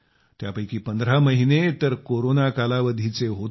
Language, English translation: Marathi, Of these, 15 months were of the Corona period